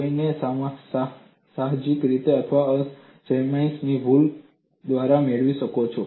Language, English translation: Gujarati, One may obtain it intuitively or by trial and error